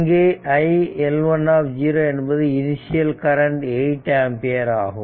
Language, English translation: Tamil, So, here it is iL1 0 is equal to 8 ampere and iL2 0 is equal to 4 ampere